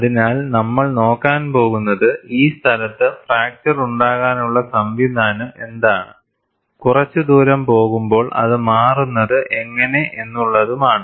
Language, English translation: Malayalam, So, we are going to look at, what is the mechanism of fracture in this place and how does it change, as we look at, a little distance away